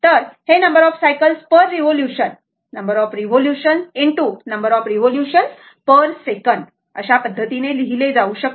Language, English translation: Marathi, So, you can write number of cycles per revolution into number of revolution per second